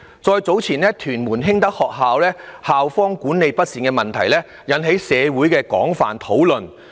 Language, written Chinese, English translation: Cantonese, 再早前的屯門興德學校校方管理不善的問題，亦引起了社會的廣泛討論。, Earlier the mismanagement of Hing Tak School in Tuen Mun also aroused extensive discussion in the community